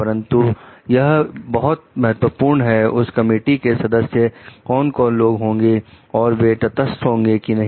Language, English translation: Hindi, But, it is very important, who are the members of this committee, and whether they are neutral or not